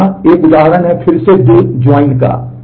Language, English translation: Hindi, So, here is an example of that again two joints